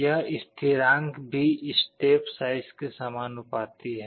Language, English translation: Hindi, The constant of proportionality is this step size